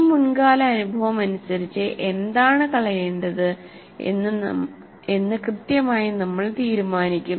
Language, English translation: Malayalam, This past experience will decide what exactly is the one that is to be thrown out